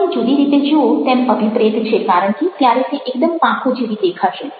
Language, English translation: Gujarati, you are supposed to see it in a different way because then it will look very much like wings